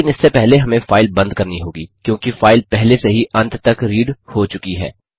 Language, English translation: Hindi, But, before that we will have to close the file, since the file has already been read till the end